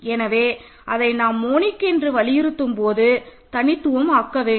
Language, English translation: Tamil, So, when we insist that it is monic we make it unique